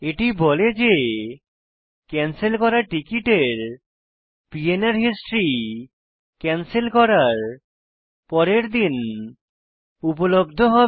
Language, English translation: Bengali, It says that the history for the canceled PNR will be available following day of cancellation, Alright